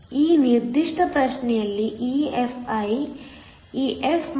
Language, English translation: Kannada, EFi in this particular problem EF Ev is given to be 0